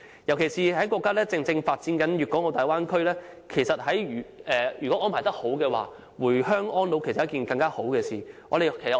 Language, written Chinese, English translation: Cantonese, 尤其是，國家正發展粵港澳大灣區，如果安排得宜，回鄉安老是一件更好的事。, Particularly the country is now developing the Guangzhou - Hong Kong - Macao Bay Area . With proper arrangements it may be even better for them to live in their hometowns during their final years